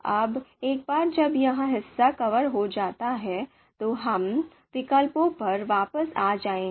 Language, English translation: Hindi, Now once this part is covered, then we will come back to the alternatives